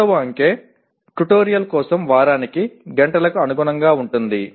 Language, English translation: Telugu, Second digit corresponds to the hours per week for tutorial